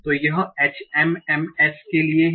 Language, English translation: Hindi, So this is for HMMs